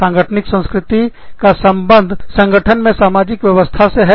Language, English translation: Hindi, Organizational culture refers to, the social setup, within an organization